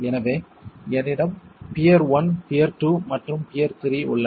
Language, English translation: Tamil, So I have peer one, peer two and peer three